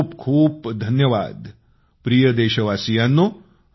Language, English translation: Marathi, I thank you my dear countrymen